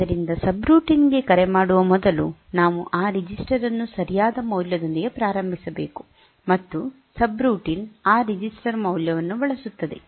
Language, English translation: Kannada, So, the so, this before calling the subroutine we should initialize that register with the proper value, and subroutine will use that register value